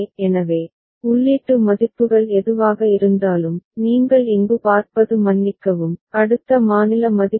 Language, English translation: Tamil, So, for which whatever is the input values, what you see over here sorry, next state values